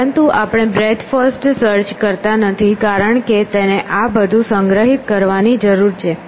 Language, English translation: Gujarati, But the reason we are not doing breadth first search is because, it needs to store this entire